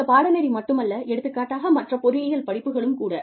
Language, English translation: Tamil, Not only this course, but the other engineering courses, specifically, for example